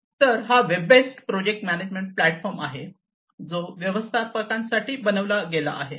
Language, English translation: Marathi, So, this is a web based project management platform that is designed for managers